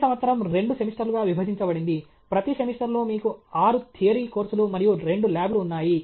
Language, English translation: Telugu, Each year divided into 2 semesters; every semester you have 6 theory courses and 2 labs